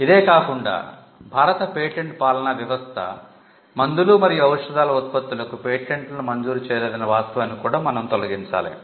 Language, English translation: Telugu, So, apart from this, the fact that the Indian patent regime did not grant product patents for drugs and pharmaceuticals was also to be done away with